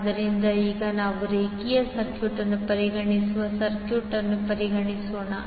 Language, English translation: Kannada, So, now again let us consider the circuit we consider a linear circuit